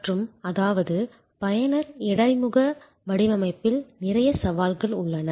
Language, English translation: Tamil, And; that means, that there are lot of challenges in user interface design